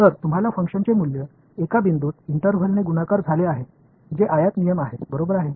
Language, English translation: Marathi, So, you have got the value of a function at one point multiplied by the interval that is your rectangle rule ok